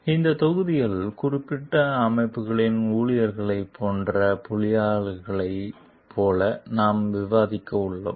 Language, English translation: Tamil, So, in this module, we are going to discuss related to like engineers, who are like employees of particular organizations